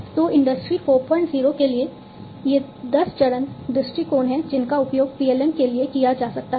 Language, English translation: Hindi, 0, these are the 10 step approaches that can be used for PLM